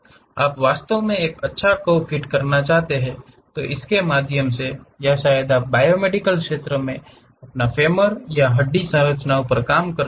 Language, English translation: Hindi, So, you would like to really fit a nice curve, through that or perhaps you are working on biomedical field your femurs or bone structures